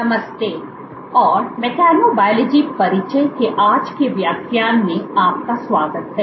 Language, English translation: Hindi, Hello and welcome to today’s lecture of Introduction to Mechanobiology